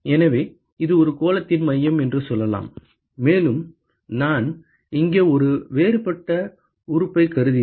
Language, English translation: Tamil, So, let us say that this is the centre of the sphere, and if I assume a differential element here